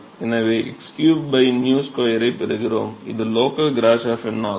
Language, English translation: Tamil, So, we get x cube by nu square which is the local Grashof number